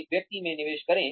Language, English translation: Hindi, Invest in one person